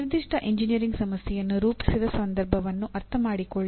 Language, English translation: Kannada, Understand the context in which a given engineering problem was formulated